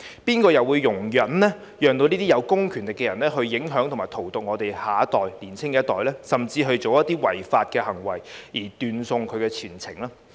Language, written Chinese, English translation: Cantonese, 誰又會容忍這些有公權力的人影響及荼毒我們的年輕一代，甚至做出一些違法行為而斷送前程呢？, Who will tolerate these people with public power to influence and poison our young generation or even make them commit some illegal acts that will ruin their future?